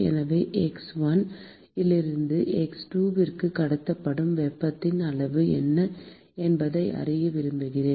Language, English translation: Tamil, So I want to know what is the amount of heat, that is transported from x1 to x2